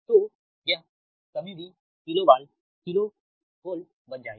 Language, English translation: Hindi, so this is also kilo watt